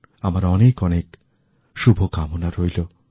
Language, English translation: Bengali, I extend many felicitations to you